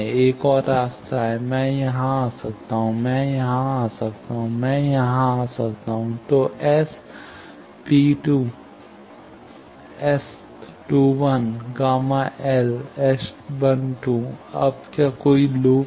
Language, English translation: Hindi, Another path is, I can come here; I can come here; I can come here; so, S P 2 is S 2 1 gamma L, S 1 2